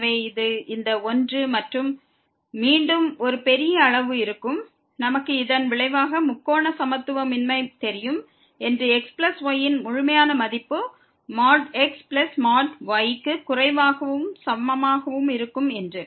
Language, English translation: Tamil, So, this will be a big quantity than this one and again, we can we know also this result the triangular inequality that the absolute value of plus will be less than equal to the absolute value of plus absolute value of